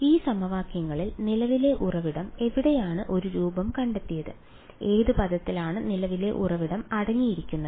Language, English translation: Malayalam, In these equations where did the current source find an appearance which of the terms contains the current source